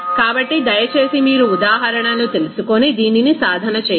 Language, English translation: Telugu, So, please go through this you know examples and practice it